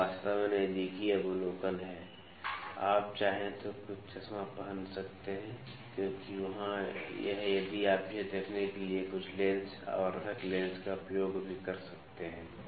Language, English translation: Hindi, This is actually close observation, you can wear some spectacles if you like because there are if you can also use some lens magnifying lens to see this